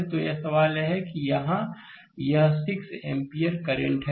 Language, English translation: Hindi, So, question is that here this 6 ampere current actually